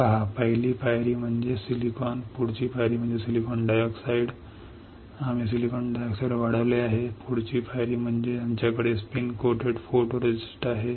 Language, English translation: Marathi, S ee first step is silicon, next step is silicon dioxide we have grown silicon dioxide, next step is we have spin coated photoresist